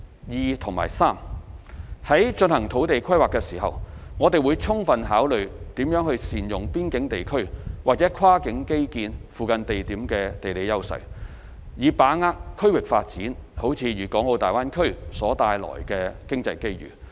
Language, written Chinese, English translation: Cantonese, 二及三在進行土地規劃時，我們會充分考慮如何善用邊境地區或跨境基建附近地點的地理優勢，以把握區域發展如大灣區所帶來的經濟機遇。, 2 and 3 In the course of land planning we will fully consider ways of leveraging the geographical advantages of border areas or locations near cross - boundary infrastructures in order to seize the economic opportunities brought by regional development such as the development of the Greater Bay Area